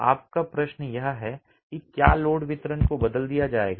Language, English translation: Hindi, Your question is whether load distribution would be changed